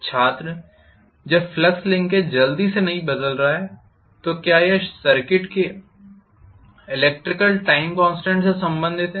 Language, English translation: Hindi, When the flux linkage is not changing quickly,is it related to electrical time constant of the circuit